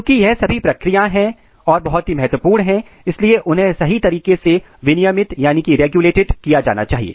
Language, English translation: Hindi, Since all this process are important then they must be tightly regulated